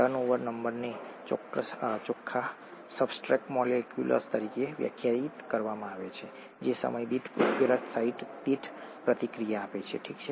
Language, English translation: Gujarati, Turnover number is defined as the net substrate molecules reacted per catalyst site per time, okay